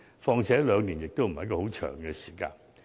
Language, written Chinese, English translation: Cantonese, 況且，兩年也不是很長的時間。, Besides two years is not a long period of time